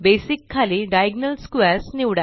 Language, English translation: Marathi, Under Basic choose Diagonal Squares